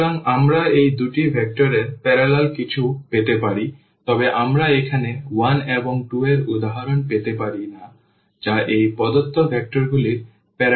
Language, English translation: Bengali, So, we can get anything in this in this parallel to this these two vectors, but we cannot get for instance here 1 and 2 which is not parallel to these two vectors the given vectors